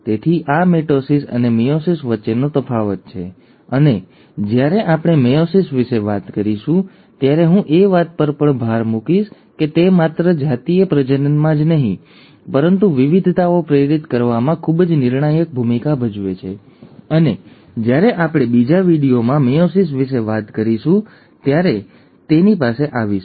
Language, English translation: Gujarati, So this is the difference between mitosis and meiosis and when we talk about meiosis, I will also emphasize that it has a very crucial role to play, not only in sexual reproduction, but in inducing variations; and we will come to it when we talk about meiosis in another video